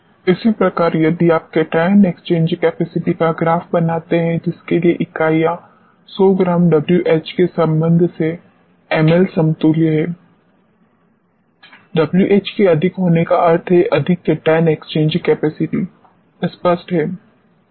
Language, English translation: Hindi, Similarly, if you plot cation exchange capacity for which the units are milli equivalents for 100 grams with respect to W H, more W H means more cation exchange capacity; clear